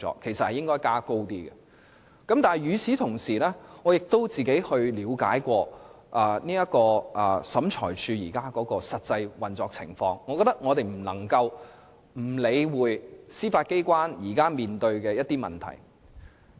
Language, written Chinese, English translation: Cantonese, 不過，與此同時，我亦嘗試了解審裁處的實際運作情況，我認為我們不得不理會司法機關現時面對的一些問題。, But meanwhile I will try to understand the actual operation of SCT as we cannot in my opinion turn a blind eye to the problem currently faced by the Judiciary